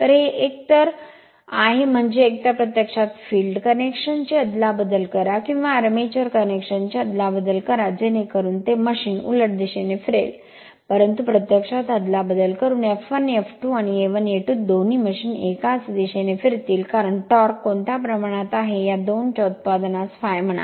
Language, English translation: Marathi, So, your that is either; that means, either you interchange the field connection or you interchange the armature connection such that machine will rotate in the reverse direction, but if you interchange both F 1 F 2 and A 1 A 2 both machine will rotate in the same direction because, torque is proportional to the what you call your phi into I a right product of these 2 right